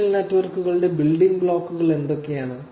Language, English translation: Malayalam, What are the building blocks of social networks